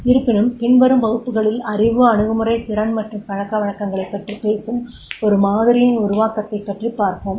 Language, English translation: Tamil, However, in the further classes I will also mention a development of the model that talks about knowledge, attitude, skill and habits also